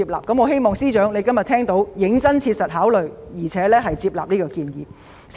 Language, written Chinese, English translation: Cantonese, 我希望司長能夠切實考慮接納這建議。, I hope the Financial Secretary can seriously consider accepting this proposal